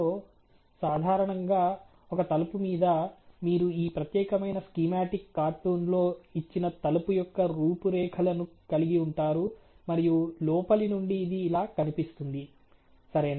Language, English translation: Telugu, So, typically on a door you have the outline of the door given in this particular schematic cartoon and from the inside it looks like this ok